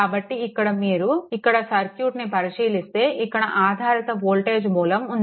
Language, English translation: Telugu, So, here if you go to this that it is look here, you have a dependent voltage source right